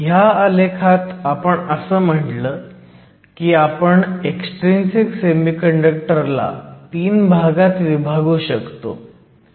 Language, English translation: Marathi, In this plot, we said that we could divide an extrinsic semiconductor into essentially three regions